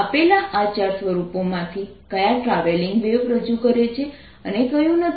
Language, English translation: Gujarati, of these four forms given, which ones represent travelling wave and which one does not